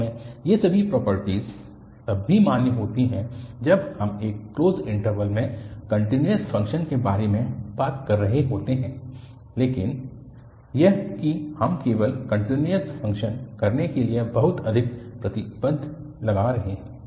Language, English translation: Hindi, Indeed, all these properties are also valid when we are talking about the continuous function in a closed interval but that we are putting too much restrictions to have only continuous function